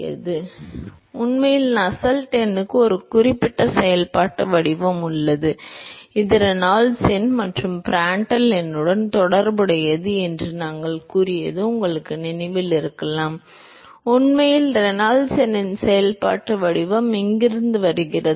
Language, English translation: Tamil, Now, in fact, you may recall that we said that Nusselt number has a certain functional form which is related to Reynolds number and Prantl number in fact, that functional form of Reynolds number comes from here